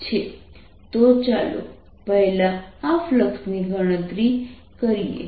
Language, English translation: Gujarati, so let's calculate this flux first